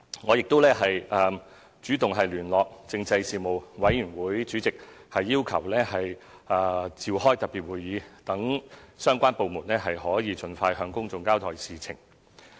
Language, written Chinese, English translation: Cantonese, 我亦主動聯絡立法會政制事務委員會主席，要求召開特別會議，讓相關部門可盡快向公眾交代事情。, I also took the initiative to contact the Chairman of the Legislative Council Panel on Constitutional Affairs asking for a special meeting to be convened so as to let the relevant departments inform the public on the incident as soon as possible